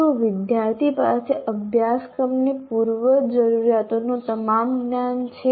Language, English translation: Gujarati, Does he have all the knowledge of the prerequisites to a course